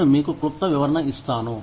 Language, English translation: Telugu, I will just give you a brief snapshot